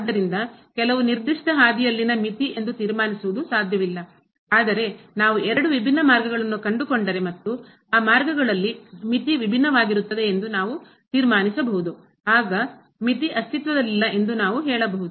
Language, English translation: Kannada, So, concluding that the limit along some particular path is not possible, but what we can conclude that if we find two different paths and along those paths, the limit is different then we can say that the limit does not exist